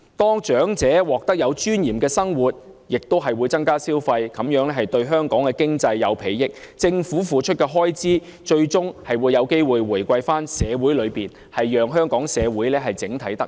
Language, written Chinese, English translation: Cantonese, 當長者獲得有尊嚴的生活，亦會增加消費，這樣對香港經濟有裨益，而政府為此付出的開支，最終有機會回饋到社會之中，讓香港整體社會都能夠得益。, If elderly people can lead a life with dignity they will increase consumption and this will also be beneficial to the economy of Hong Kong . The Governments expenditure for this purpose may eventually be returned to our society thus benefiting the Hong Kong community as a whole